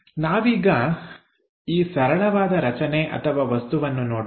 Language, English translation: Kannada, Let us look at for this simple object